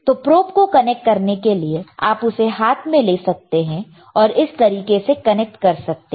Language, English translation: Hindi, The probes are connected and when you connect the probe, you can take it in hand and you can connect it like this, yes